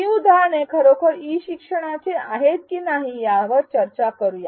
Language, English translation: Marathi, Let us discuss whether these examples are indeed e learning